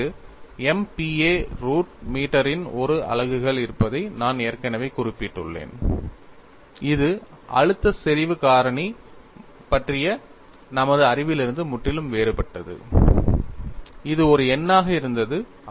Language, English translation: Tamil, aAnd I have already mentioned that K has a units of MPa root meter, which is quite different from our knowledge of stress concentration factor, which was just a number; in the case of stress intensity factor, you have a very funny unit where you get hurt